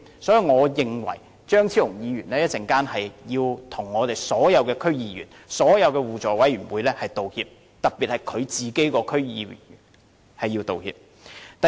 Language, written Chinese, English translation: Cantonese, 所以，我認為張超雄議員稍後要向所有區議員和互委會道歉，特別是向他自己黨內的區議員道歉。, Hence I consider that Dr Fernando CHEUNG should tender apologies to all the DC members especially those of his own party and mutual aid committees later